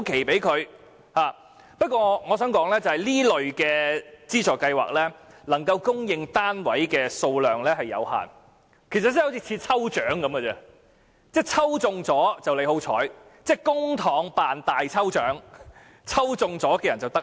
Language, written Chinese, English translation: Cantonese, 不過，我想指出的是，這類資助計劃能供應的單位數量有限，申請者好像參加抽獎，抽中了便是好運，公帑辦大抽獎，抽中的人就得益。, That said what I want to say is that since the number of units to be supplied under such schemes is limited it seems that applicants are participating in lucky draws funded by public money and those lucky enough will be the winners and can enjoy the benefits